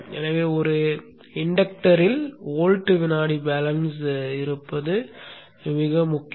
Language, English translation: Tamil, So it is very, very important that there is volt second balance in an inductor